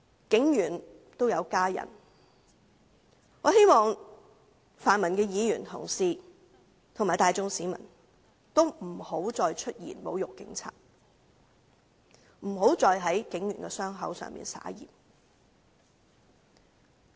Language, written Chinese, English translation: Cantonese, 警員也有家人，我希望泛民議員及大眾市民不要再出言侮辱警員，不要再在警員的傷口上灑鹽。, Police officers have families too . I hope the pan - democratic Members and the masses will stop making insulting remarks against police officers . Stop rubbing salt into their wound